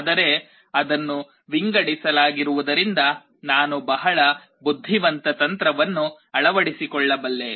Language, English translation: Kannada, But because it is sorted I can adapt a very intelligent strategy